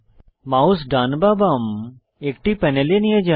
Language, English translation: Bengali, Move your mouse over any one panel left or right